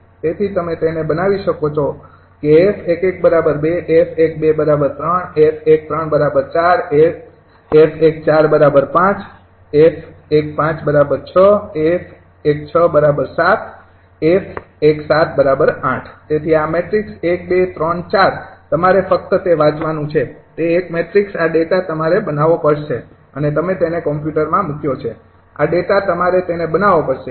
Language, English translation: Gujarati, f one five, six, f one, six, seven, and f one eight is equal to a f one seven is equal to eight, right, so this matrix: two, three, four, all you have to read it, that a matrix, this data you have to create and you just put it in computer